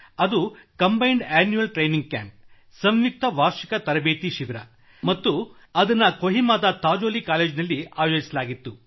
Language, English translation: Kannada, It was the combined Annual Training Camp held at Sazolie College, Kohima